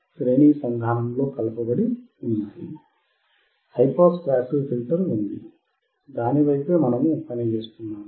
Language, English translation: Telugu, There is a high pass passive filter, that is what we are working on